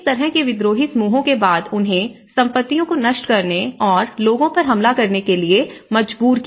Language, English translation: Hindi, So, after this kind of Rebel groups forcing them and destroying the properties and attacking the people